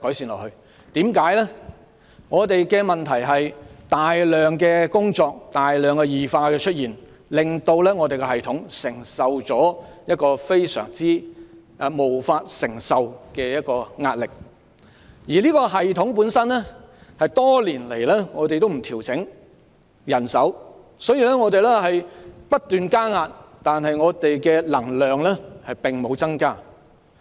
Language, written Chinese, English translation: Cantonese, 問題在於教師要面對大量工作，令教育系統承受無法承受的壓力，但人手多年來也不獲調整，以致這個系統承受的壓力不斷增加，但教師的能量並無增加。, The problem hinges on the fact that teachers have to handle a lot of work thus placing unbearable pressure on the education system but manpower on the other hand has not been increased over the past few years . The system is subject to more and more pressure but the energy of teachers has not been enhanced